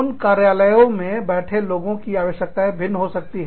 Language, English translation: Hindi, The people, sitting in that office, will have a different set of needs